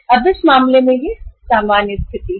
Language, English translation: Hindi, Now in this case, this is the normal situation